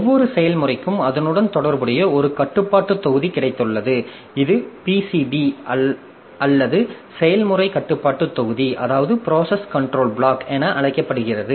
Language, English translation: Tamil, So, every process has got a control block associated with it which is known as the PCB or the process control block